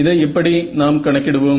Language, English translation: Tamil, So, how do you calculate this